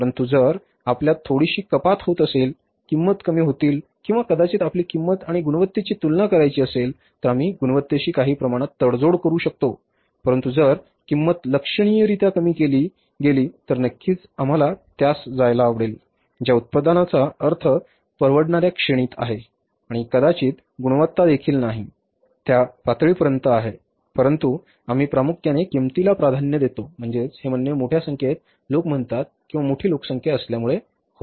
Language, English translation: Marathi, But if we are getting a little reduction, decrease in the price or maybe if the price and quality we have to compare, we can compromise to some extent with the quality but if the prices reduced significantly then certainly we would like to go with the products who are within the affordable range and maybe the quality is also not is also up to that level but we give the preference largely to the price